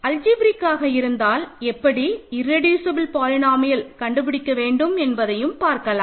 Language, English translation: Tamil, So, how do we find whether it is algebraic or not and if so, how do you find its irreducible polynomial